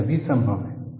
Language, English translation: Hindi, These are all doable